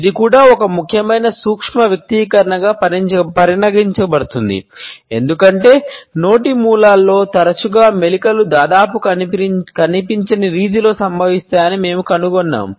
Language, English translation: Telugu, This is also considered to be an important micro expression because we find that often the twitch occurs in the corners of the mouth in almost an imperceptible manner